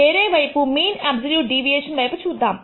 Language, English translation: Telugu, On the other hand, let us look at the mean absolute deviation